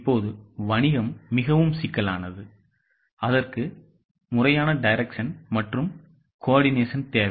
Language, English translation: Tamil, Now, business is very complex and it requires a formal direction and coordination